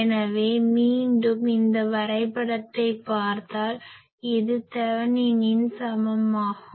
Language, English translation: Tamil, So, again if we look at these diagram this Thevenin’s equivalent